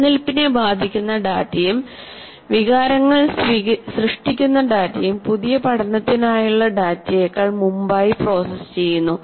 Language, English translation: Malayalam, And data affecting the survival and data generating emotions are processed ahead of data for new learning